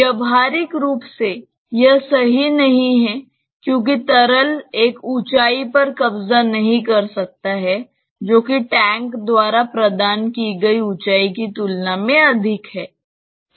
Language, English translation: Hindi, Practically that is not possible right because the liquid cannot occupy a height which is which is greater than that is provided by the tank